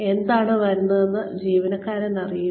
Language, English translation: Malayalam, The employee should know, what is coming